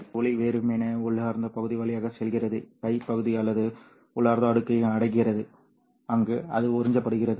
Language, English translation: Tamil, So, light simply goes through the intrinsic region, reaches the pi region or the intrinsic layer, where it gets absorbed